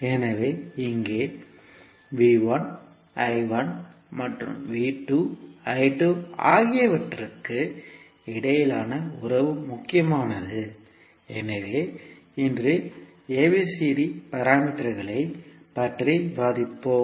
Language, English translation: Tamil, So here the relationship between V 1 I 1 and V 2 I 2 is important so we will discuss the ABCD parameters today